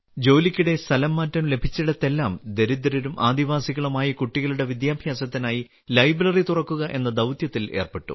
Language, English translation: Malayalam, Wherever he was transferred during his job, he would get involved in the mission of opening a library for the education of poor and tribal children